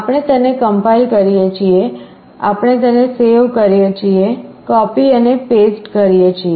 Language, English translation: Gujarati, We compile it, we save it, copy and paste